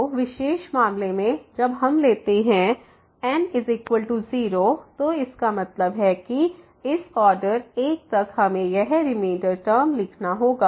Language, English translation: Hindi, So, in the special case when we take is equal to 0 so that means, this up to the order one we have to write this reminder term